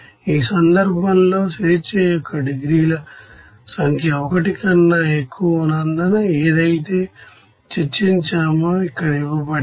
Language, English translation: Telugu, In this case, since number of degrees of freedom is greater than 1, we can say that what is the discussion that we have given here